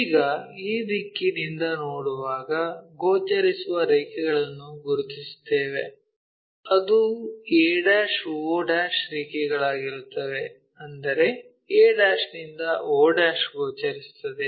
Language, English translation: Kannada, Now, identify the lines which are visible when we are looking from this direction will be definitely seeing a' o o' lines that means, a to o will be visible